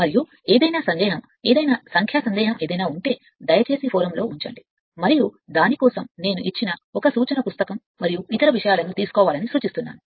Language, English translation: Telugu, And any doubt any numerical doubt anything you have you please just put it and for that I suggest you take a reference book and other things given